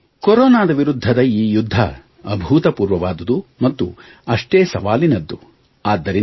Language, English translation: Kannada, Friends, this battle against corona is unprecedented as well as challenging